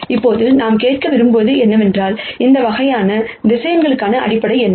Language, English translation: Tamil, Now, what we want to ask is, what is the basis set for these kinds of vectors